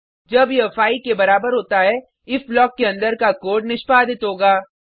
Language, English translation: Hindi, When it is equal to 5, the code within the if block will get executed